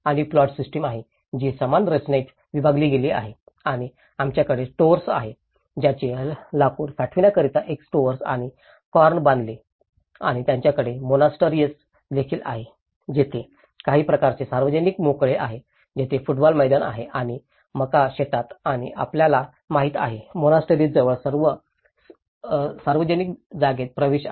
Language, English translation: Marathi, And is the plot system which has been subdivided into equal composition and we have the store for, they built a store and corn for storing the wood and they also have the monastery and they built some kind of public spaces where there has a football ground and the maize field and you know, there is all the public space access near to the monastery